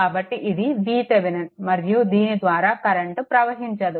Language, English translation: Telugu, So, it is V Thevenin and it no current is flowing through this